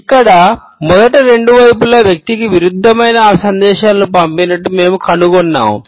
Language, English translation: Telugu, Here, we find that the two sides of the brain sent conflicting messages to the person